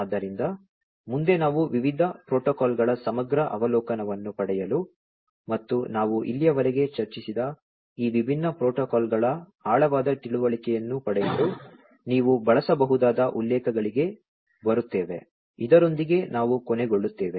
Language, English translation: Kannada, So, next, you know, so we come to the references which you can use for getting a comprehensive overview of the different protocols and getting an in depth understanding of these different protocols that we have discussed so far, with this we come to an end